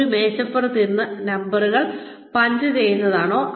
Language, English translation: Malayalam, Is it sitting at a desk, and punching numbers